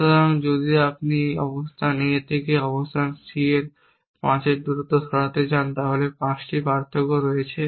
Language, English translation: Bengali, So, if you want lets a move 5 dist from location A to location C then there are 5 differences